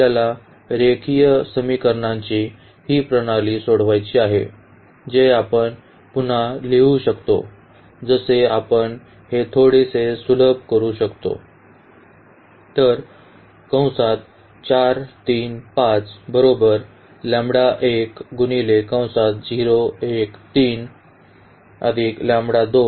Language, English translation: Marathi, And we have to solve this system of linear equations which we can write down like again we can simplify this little bit